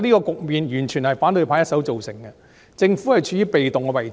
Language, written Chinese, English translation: Cantonese, 這個局面完全是反對派一手造成的，政府處於被動的位置。, Such a situation is the doing of the opposition camp singlehandedly while the Government has been in a passive position